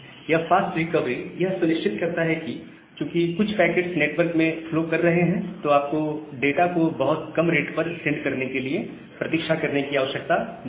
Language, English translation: Hindi, And the fast recovery ensures that, because some packets are flowing in the network, you do not need to again wait for sending the data at a very low rate